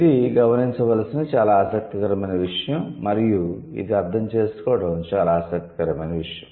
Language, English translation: Telugu, It's a very interesting thing to notice and it's a very interesting thing to understand also